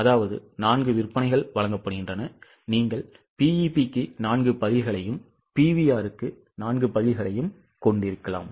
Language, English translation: Tamil, You can have up to four columns are given, I mean four sales are given, you can have up to four answers for BP and four answers for PV